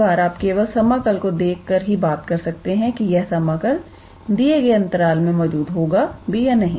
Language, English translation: Hindi, Sometimes it is also intuitive just looking at the integral you can be able to make out whether that integral would exist on that interval or not